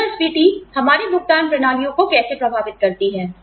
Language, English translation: Hindi, How does inflation, affect our pay systems